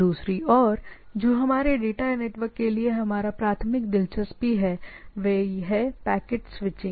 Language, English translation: Hindi, On the other hand, which is our primary interest for our data network is the packet switching